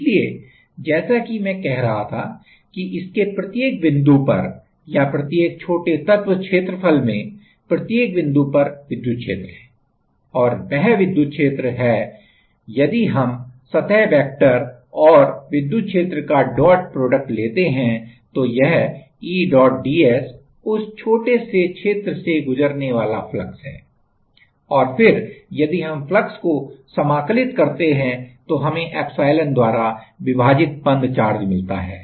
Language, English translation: Hindi, So, as I was saying that at every point in this or every small elemental area, we have an electric field and that electric field if we take a dot product of that like the surface vector and the electric field then E dot ds is the like flux, through that through that small area and then if we integrate about the flux, then we get the charge enclosed divided by epsilon